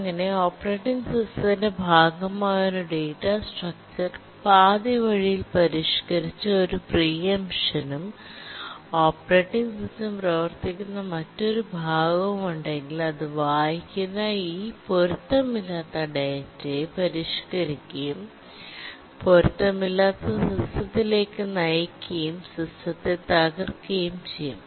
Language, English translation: Malayalam, So if a data structure is part of the operating system that is modified halfway and then there is a preemption and some other part the operating system runs and then modifies this data inconsistent data it reads and modifies then it will lead to an inconsistent system and can cross the system